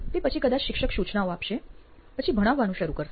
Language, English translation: Gujarati, After that probably the teacher would start instructions, right start teaching then